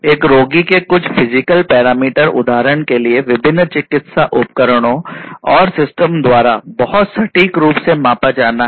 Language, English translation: Hindi, So, some physiological parameter of a patient, for example, has to be measured very accurately by different medical devices and systems